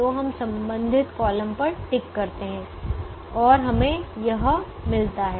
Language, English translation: Hindi, so we tick the corresponding column and we get this